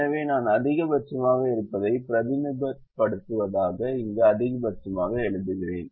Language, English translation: Tamil, so i just write a max here notionally to represent i am maximizing